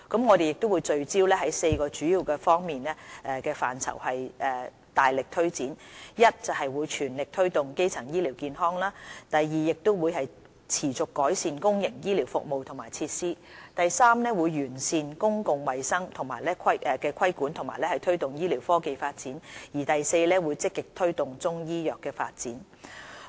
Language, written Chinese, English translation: Cantonese, 我們會聚焦4個主要方向範疇，大力推展：第一，全力推動基層醫療健康；第二，持續改善公營醫療服務和設施；第三，完善公共衞生規管和推動醫療科技發展；及第四，積極推動中醫藥的發展。, Focusing our promotion efforts on four main areas we will first actively promote primary health care; second keep improving the health care services and facilities provided by the public sector; third enhance public health regulation and promote advancements in medical technology and forth proactively support the development of Chinese medicine